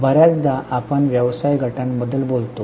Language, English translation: Marathi, Often we talk about business groups